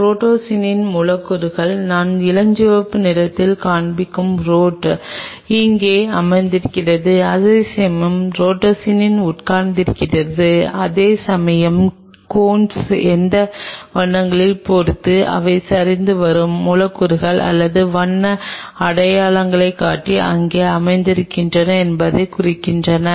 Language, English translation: Tamil, And your rhodopsin’s molecules are sitting here for the rod which I am showing in pink colors the rhodopsin’s are sitting here whereas, for the cones depending on which colors they are indicating the collapsing molecules or color identifiers are sitting here